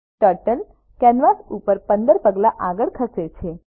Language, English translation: Gujarati, Turtle moves 15 steps forward on the canvas